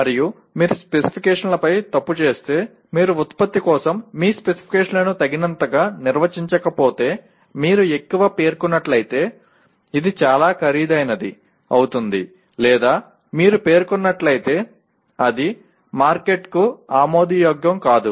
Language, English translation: Telugu, And if you err on the specifications, if you do not define your specifications adequately for the product, either it becomes too expensive if you over specify or if you under specify it will not be acceptable to the market